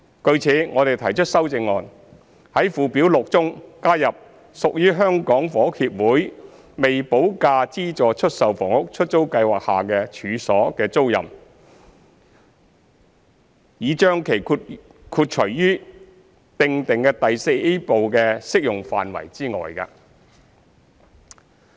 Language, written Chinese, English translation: Cantonese, 據此，我們提出修正案，在附表6中加入屬在香港房屋協會的出租計劃下的處所的租賃，以將其豁除於擬訂第 IVA 部的適用範圍之外。, Accordingly we have proposed a CSA to add to Schedule 6 a tenancy of premises under the HKHSs Letting Scheme so that it would be excluded from the application of the proposed Part IVA